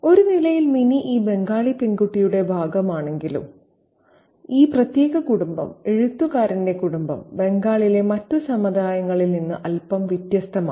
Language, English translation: Malayalam, And even though Minnie is part of this Bengali girls as a category, this particular family, the family of the writer, is slightly different from the rest of the communities in Bengal